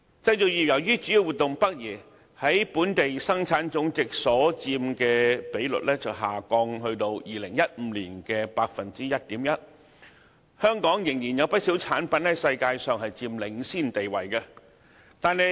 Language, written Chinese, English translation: Cantonese, 製造業由於主要活動北移，在本地生產總值所佔的比率下降至2015年的 1.1%， 但香港仍然有不少產品在世界上佔領先地位。, Having relocated its major operations to the Mainland the manufacturing industry contributed less to the GDP and the percentage dropped to 1.1 % in 2015 . Yet many Hong Kong products still enjoy a leading position in the world